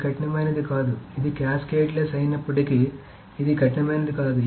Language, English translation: Telugu, Although this is cascadless, this is cascadless but this is not strict